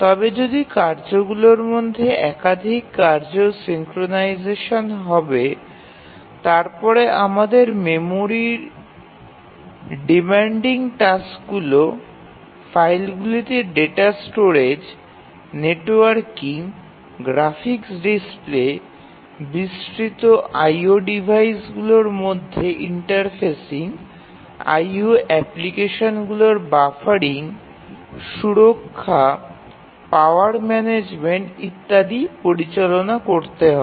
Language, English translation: Bengali, But then if there are multiple tasks synchronization among the tasks you need to manage the memory, like memory demanding tasks, we need to store data in file, we need to network to other devices, we need graphics displays, we need to interface with a wide range of IO devices, we need to have buffering of the IO applications, security, power management, etcetera